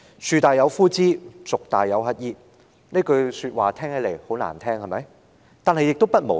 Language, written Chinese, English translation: Cantonese, "樹大有枯枝，族大有乞兒"，這句話很難聽，對嗎？, The saying that there is a black sheep in every fold is unpleasant to the ears is it not?